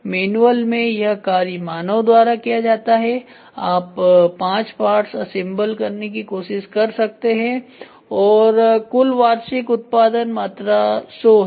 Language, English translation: Hindi, This manual is done by human being so you can try to do parts up to five and the total value annual production volume is 100